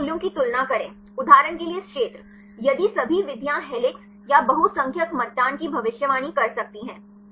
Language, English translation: Hindi, Then compare these values; for example this region; if all methods could predict helix or majority of voting